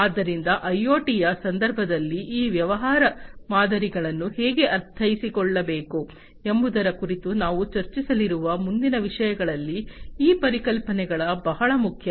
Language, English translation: Kannada, So, these concepts are very important in the next things that we are going to discuss on how these business models should be understood in the context of IoT